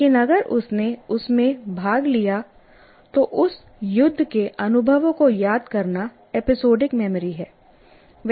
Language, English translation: Hindi, But if he participated in that, recalling experiences in that war is episodic memory